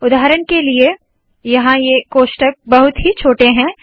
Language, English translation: Hindi, For example here, these brackets are very small